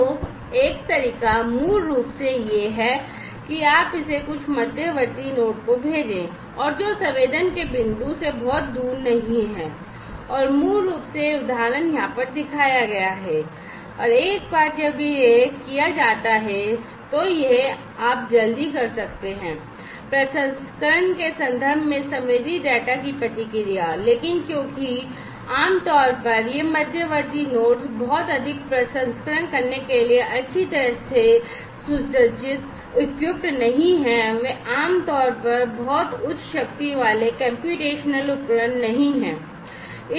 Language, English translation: Hindi, So, one way is basically, that you send it to some intermediate node, and which is not far off from the point of sensing, and that basically is this example shown over here and once it is done the advantage is that you can have quicker response to the sensed data in terms of processing, but because not typically these intermediate nodes are not well equipped to do lot of processing, they are not very high power computational devices typically